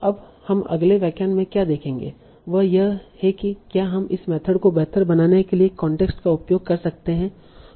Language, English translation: Hindi, So now what we will see in the next lecture is that can we also use the context to improve this method